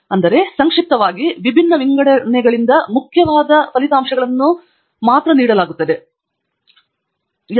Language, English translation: Kannada, So, just briefly, to summarize how these different sortings are important is given here